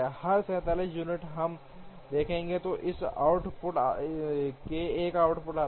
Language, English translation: Hindi, Every 47 units we will see that an output comes